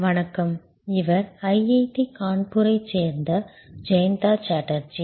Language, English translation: Tamil, Hello, this is Jayanta Chatterjee from IIT, Kanpur